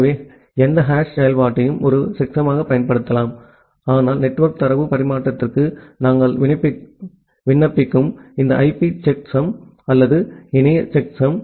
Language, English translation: Tamil, So, any hash function can be used as a checksum, but ideally these IP checksum or internet checksum which we apply for network data transfer